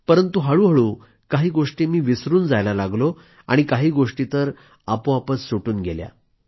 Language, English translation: Marathi, But gradually, I began forgetting… certain things started fading away